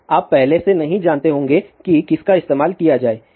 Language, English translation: Hindi, Now you may not know, beforehand which one to be used